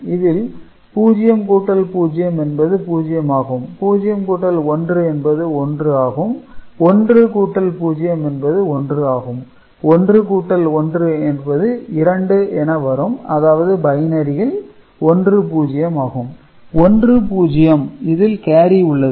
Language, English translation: Tamil, So, 0 plus 0 is 0; 0 plus 1 is 1 right and 1 plus 0 is also 1 and when we add 1 and 1 right, it will become 2; 2 in binary is 1 0 right